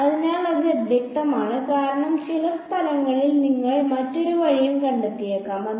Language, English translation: Malayalam, So, that is unambiguous because you might find in some places the other way also alright